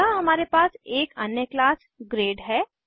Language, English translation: Hindi, Here we have another class as grade